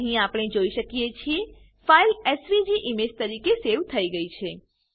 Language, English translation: Gujarati, Here we can see that file is saved as a SVG image